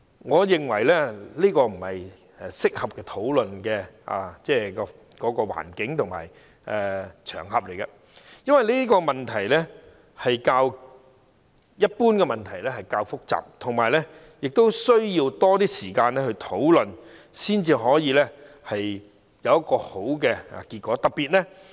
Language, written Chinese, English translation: Cantonese, 我認為現在不是適合討論這課題的合適時間，因為這課題較一般問題複雜，需要更多時間討論，才可以得出一個好的結果。, I think this is not the opportune time to discuss this topic . Since this topic is more complicated than general issues we need more time for discussion in order to reach a good outcome